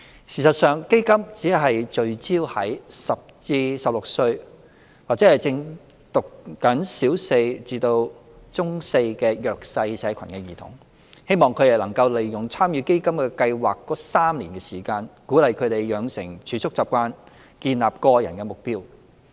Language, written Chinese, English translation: Cantonese, 事實上，基金只聚焦於10至16歲或正就讀小四至中四的弱勢社群兒童，希望他們能夠利用參與基金計劃的3年時間，鼓勵他們養成儲蓄習慣和建立個人目標。, In fact CDF only targets at children aged 10 to 16 or students in Primary Four to Secondary Four from a disadvantaged background with an aim of helping them develop savings habits and set their personal goals during the three - year participation period